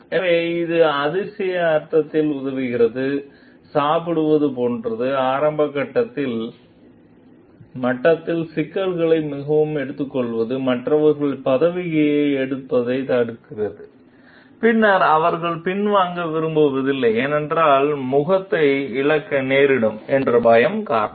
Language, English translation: Tamil, So, it helps in wondered sense, taking the problem very taking the issue at an early stage level like eating prevents others from taking positions from which later on they may not like to retreat, because of fear of losing face